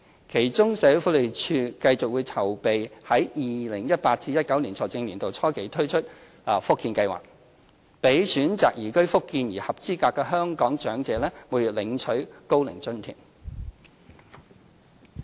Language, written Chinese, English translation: Cantonese, 其中，社署會繼續籌備在 2018-2019 財政年度初期推出"福建計劃"，讓選擇移居福建的合資格香港長者每月領取高齡津貼。, For example SWD will continue preparing for the introduction of the Fujian Scheme early in the 2018 - 2019 financial year to grant monthly OAA to eligible Hong Kong elderly persons who choose to reside in Fujian